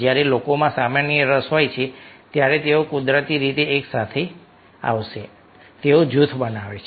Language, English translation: Gujarati, when people are having common interest, naturally they will come together